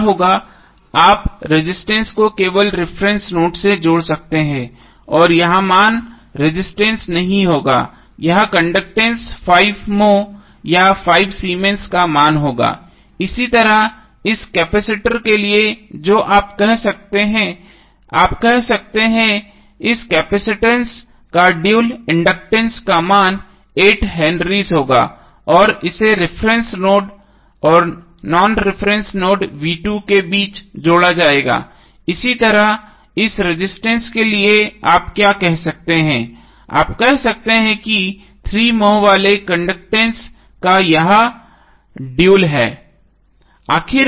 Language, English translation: Hindi, So, what will happen you can just connect resistance to the reference node and this value would be this will not be resistance this would be conductance having value of 5 moh or 5 Siemens, similarly for this capacitor what you can say, you can say that the dual of this capacitance is inductance, value would be 8 henry and it will be connected between the reference node and the non reference node v2, similarly for this resistance what you can say, you can say the dual of this is a conductance having a vale 3 moh